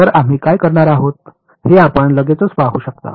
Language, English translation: Marathi, So, you can straight away see what we are going to do